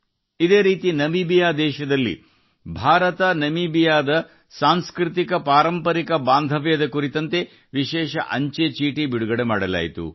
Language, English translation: Kannada, Similarly, in Namibia, a special stamp has been released on the IndoNamibian culturaltraditional relations